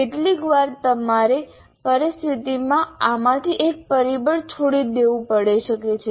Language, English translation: Gujarati, Sometimes you may have to forego one of these factors in a given situation